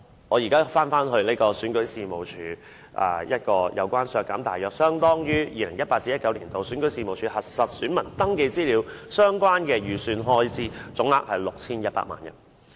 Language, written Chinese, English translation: Cantonese, 我現在返回討論選舉事務處，我要求削減大約相當於 2018-2019 年度選舉事務處核實選民登記資料相關的預算開支，總額是 6,100 萬元。, I am now back to the discussion on REO . My amendment seeks to deduct a total amount of 61 million which is approximately equivalent to the estimated expenditure for verification of voter registration particulars by REO for 2018 - 2019